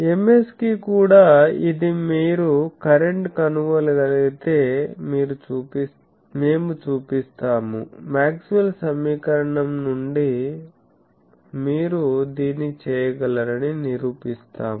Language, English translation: Telugu, Similar way we will show that for Ms also this is the current you can find out, we will from Maxwell’s equation we will prove that this you can do